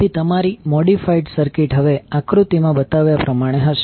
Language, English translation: Gujarati, So, your modified circuit will now be as shown in the figure